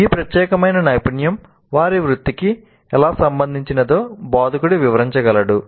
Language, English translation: Telugu, The instructor can explain how this particular competency is relevant to their profession